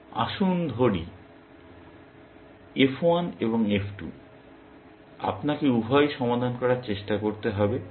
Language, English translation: Bengali, Let us say f1 and f2; you have to try to solve both